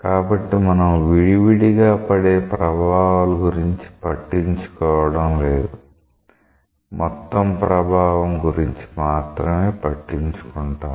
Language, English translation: Telugu, So, we are not bothered about that what is the individual effect; we are bothered about the total effect